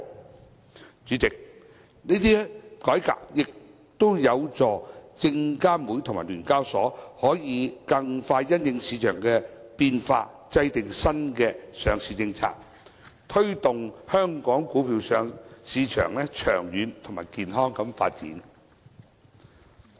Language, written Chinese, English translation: Cantonese, 代理主席，這些改革也有助證監會和聯交所可以更快因應市場的變化制訂新的上市政策，推動香港股票市場長遠及健康的發展。, Deputy President these proposals can also facilitate SFC and SEHK to formulate new listing policies flexibly to tie in with market changes so as to promote a long - term and healthy development of the stock market in Hong Kong